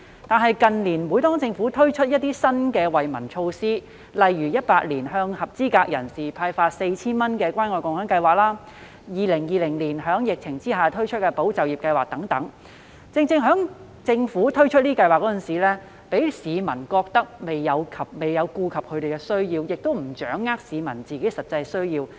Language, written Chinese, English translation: Cantonese, 但是，近年每當政府推出新的惠民措施時，例如2018年向合資格人士派發 4,000 元的關愛共享計劃，以及2020年在疫情下推出的"保就業"計劃等，讓市民覺得政府在推出類似計劃時未有顧及他們的需要，也無法掌握他們的實際需要。, But in recent years whenever the Government introduced new measures to benefit the people such as the Caring and Sharing Scheme involving the disbursement of 4,000 for each eligible person in 2018 and also the Employment Support Scheme in 2020 amidst the epidemic people invariably had the feeling that when the Government launched such programmes it failed to cater for their needs or get a good grasp of their actual needs